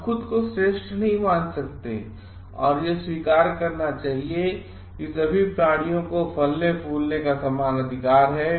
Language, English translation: Hindi, We cannot regard ourselves as superior, and should accept it all creatures have equal rights to flourish